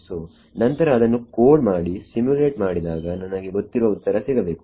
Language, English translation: Kannada, So, then I code up and I simulate and I should get the known answer